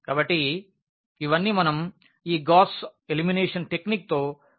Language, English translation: Telugu, So, all these we can figure it out with this Gauss elimination technique